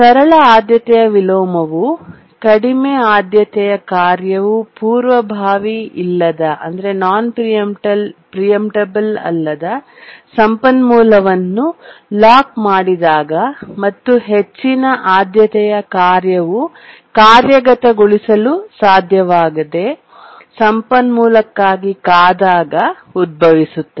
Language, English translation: Kannada, A simple priority inversion arises when a low priority task has locked a non preemptible resource and a higher priority task cannot execute and just waits for a resource